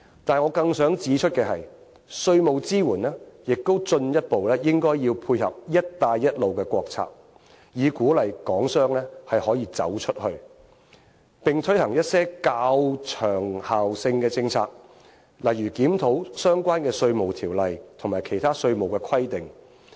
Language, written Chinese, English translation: Cantonese, 但是，我更想指出的是，稅務支援亦應進一步配合"一帶一路"的國策，以鼓勵港商可以走出去，並推行一些較長效性的政策，例如檢討相關的《稅務條例》及其他稅務規定。, However I incline to the idea that the Governments tax support should further tie in with the States One Belt One Road initiative with a view to encouraging Hong Kong enterprises to expand their business abroad . Also it should formulate policies with longer lasting effects such as reviewing relevant sections in the Inland Revenue Ordinance and other tax measures